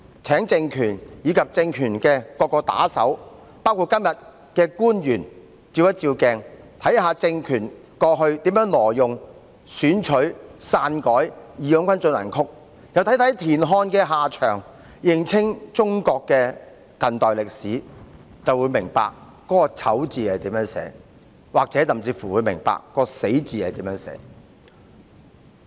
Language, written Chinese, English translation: Cantonese, 請政權和政權的各個打手，包括今天的官員照照鏡子，看看政權過去如何挪用、選取、篡改"義勇軍進行曲"，又看看田漢的下場，認清中國的近代歷史，便會明白"醜"字怎樣寫，明白"死"字怎樣寫。, I urge the regime and its various lackeys including officials present today to look at themselves in the mirror see how the regime had appropriated selected and altered March of the Volunteers as well as what an end TIAN Han had come to and get a clear understanding of the modern history of China . Then they will understand the meaning of disgrace and demise